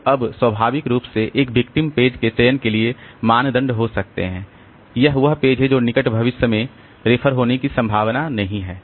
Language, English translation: Hindi, Now there can be naturally the criteria for selecting a victim page is the page which is not likely to be referred to in the near future